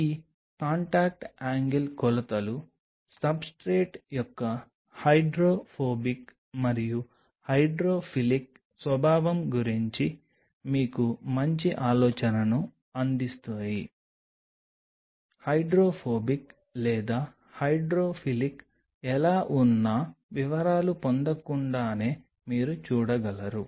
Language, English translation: Telugu, These contact angle measurements will give you a fairly good idea about the hydrophobic and hydrophilic nature of the substrate; hydrophobic or hydrophilic how even without getting into the details you can see if